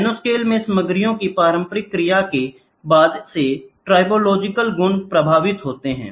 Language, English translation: Hindi, Tribological properties affects since the interaction of materials are in nanoscale